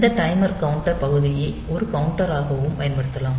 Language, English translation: Tamil, So, we can use this module this timer counter module also as a counter